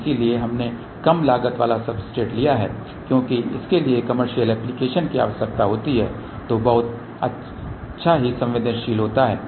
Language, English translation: Hindi, So, we have taken and low cast substrate because this is required for commercial application which is very price sensitive